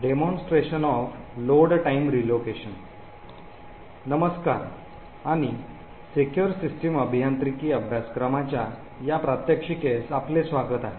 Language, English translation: Marathi, Hello and welcome to this demonstration in the course for Secure System Engineering